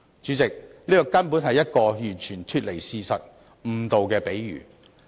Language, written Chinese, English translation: Cantonese, 主席，這根本是完全脫離事實和誤導市民的比喻。, President these analogies are totally divorced from reality and misleading to the public